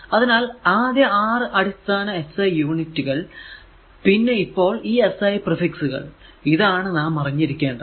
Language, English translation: Malayalam, So, first basic 6 SI units and these are your what you call the SI prefixes so, this we should know right